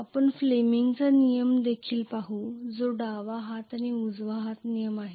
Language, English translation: Marathi, We will also look at fleming’s rule which is left hand and right hand rule